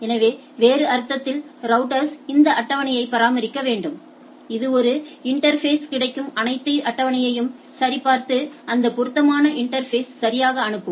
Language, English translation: Tamil, So, the router in other sense has to maintain this table, like anything it gets in one interface check the table and send that appropriate interface right